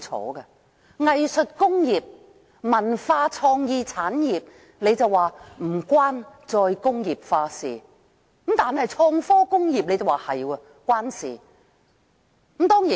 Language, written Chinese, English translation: Cantonese, 當局說藝術工業或文化創意產業與"再工業化"無關，但創科工業則有關。, According to the authorities contrary to the IT industry the arts and cultural creation industries are irrelevant to re - industrialization